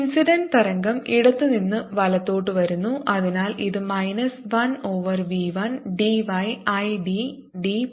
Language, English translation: Malayalam, incident wave is coming from left to right and therefore this is minus one over v one d y i by d t